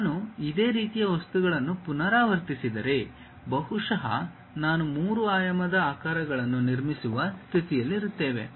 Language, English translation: Kannada, If I repeat similar kind of objects, perhaps I will be in a position to construct three dimensional shapes